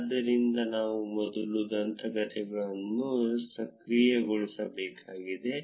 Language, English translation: Kannada, So, we need to first enable the legends